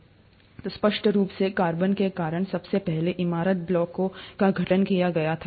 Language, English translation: Hindi, So clearly, the earliest building blocks were formed because of carbon